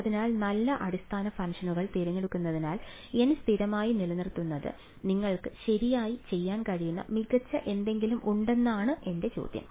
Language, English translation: Malayalam, So, my question is that keeping N fixed choosing good basis functions still is there something better that you could do right